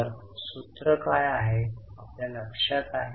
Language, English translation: Marathi, Now what is the formula do you remember